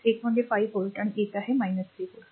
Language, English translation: Marathi, One is 5 volt, one is minus 3 volt, right